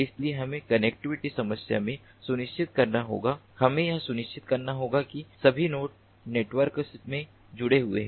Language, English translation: Hindi, so we have to ensure in the connective connectivity problem we have to ensure that all the nodes are connected in the network so that the sense data can be reach the sink node